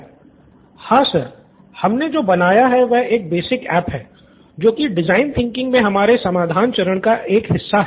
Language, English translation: Hindi, Yes sir, what we have built is a basic app as a part of our solution phase in design thinking